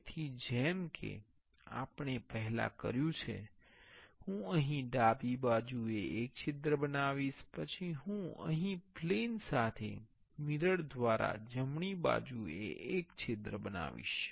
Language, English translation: Gujarati, So, as previous as we did previously, I will create one hole here on the left side, then I will create one hole here on the right side by mirroring this hole with a plane